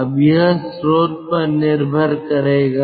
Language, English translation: Hindi, that will depend on the source